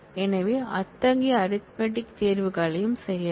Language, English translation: Tamil, So, those such arithmetic choices can also be made